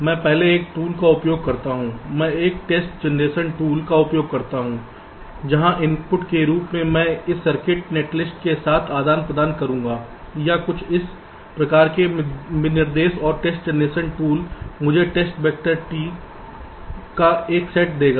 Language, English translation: Hindi, first, i use a test generation tool where, just as the input i shall be providing with this circuit net list, let say, or this, some kind of specification, as i test generation tool will give me a set of test directors, t